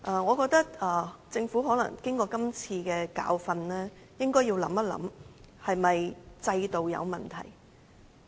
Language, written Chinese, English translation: Cantonese, 我覺得政府經過這次教訓，應該想一想是否在制度上出現了問題。, I think that having learnt from the experience this time around the Government should consider whether or not there are problems in the system